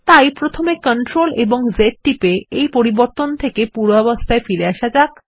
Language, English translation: Bengali, So first we will undo this change by pressing CTRL+Z